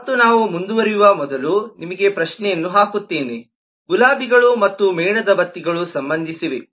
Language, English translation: Kannada, and just before we move on, just to put the question to you: are roses and candles related